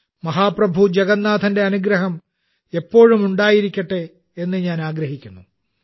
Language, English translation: Malayalam, It’s my solemn wish that the blessings of Mahaprabhu Jagannath always remain on all the countrymen